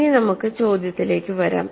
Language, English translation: Malayalam, Now, let us come to the question